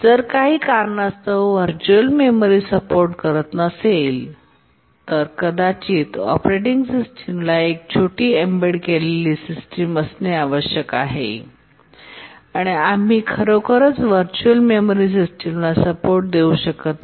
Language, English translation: Marathi, This is called as the memory protection feature and if for some reason we don't support virtual memory, maybe because the operating system needs to be small embedded system and we cannot really afford to support a virtual memory system, then memory protection becomes a issue